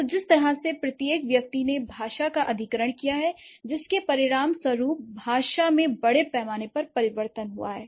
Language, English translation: Hindi, So, it's the each individual the way they have acquired the language that resulted or that eventually results in a massive change in the language